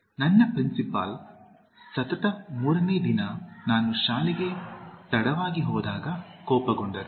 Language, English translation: Kannada, My principal got angry when I went late to the school for the third consecutive day